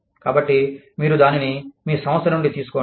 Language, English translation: Telugu, So, you take it, out of your organization